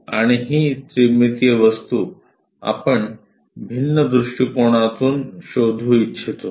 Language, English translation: Marathi, And this three dimensional object, we would like to locate in different perspectives